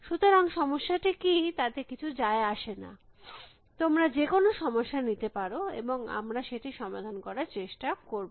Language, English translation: Bengali, So, we does not matter what the problem is, you can take any problem and we will try to solve the problem